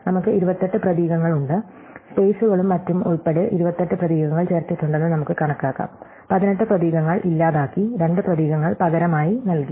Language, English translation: Malayalam, So, we have 28 characters, we can count that there are 28 characters which have been inserted including spaces and other, 18 characters have been deleted and 2 characters have been substituted